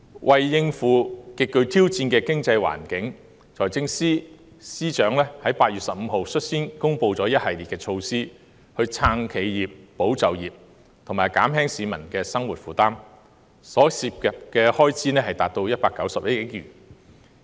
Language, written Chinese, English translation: Cantonese, 為應付極具挑戰的經濟環境，財政司司長在8月15日率先公布一系列措施，以撐企業、保就業及減輕市民的生活負擔，所涉開支達191億元。, In order to cope with the extremely challenging economic environment the Financial Secretary announced a series of measures on 15 August involving an expenditure of 19.1 billion to support enterprises safeguard jobs and relieve peoples burden